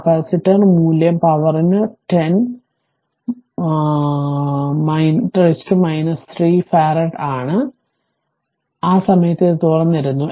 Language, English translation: Malayalam, And capacitor value is 10 to the power minus 3 farad, so at that time this was open right